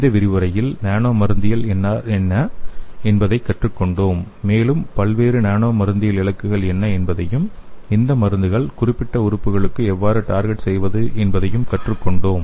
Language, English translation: Tamil, In this lecture we have learnt what nano pharmacology is and also we have learnt what are the various nano pharmacology targets and how to target these drug to the particular organs okay